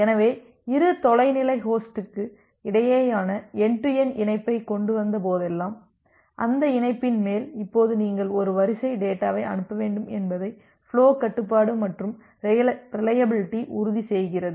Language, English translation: Tamil, So, the flow control and reliability ensures that whenever you have established certain end to end connection between the two remote host, so on top of that connection, now you need to send a sequence of data